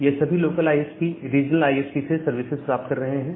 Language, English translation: Hindi, Then this local ISPs they get the services from the regional ISPs